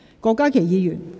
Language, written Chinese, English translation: Cantonese, 郭家麒議員，請發言。, Dr KWOK Ka - ki please speak